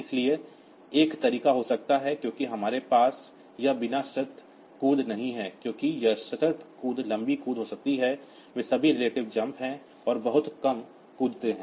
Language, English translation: Hindi, So, this may be one way out since we do not have this unconditional jumps because this conditional jumps to be long jumps they are all relative jump and very they are short jumps